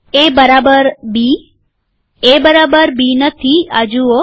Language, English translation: Gujarati, A equals B, A not equal to B, See this